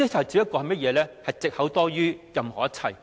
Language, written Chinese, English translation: Cantonese, 只不過是藉口多於任何一切。, This is more of an excuse than anything else